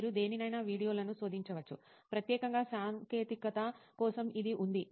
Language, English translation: Telugu, You can search videos on any, specifically for technical it is there